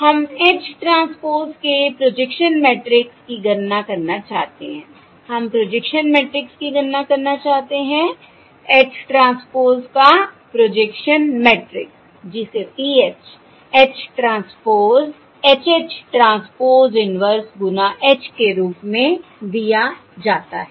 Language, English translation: Hindi, We want to compute the projection matrix, projection matrix of H transpose, which is given as PH equals H transpose H